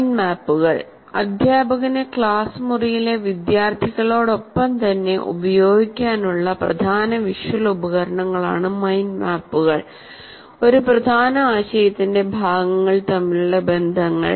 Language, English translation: Malayalam, Mind maps are powerful visual tools for the teacher to explore along with the students in the classroom, the relationships between and along parts of a key idea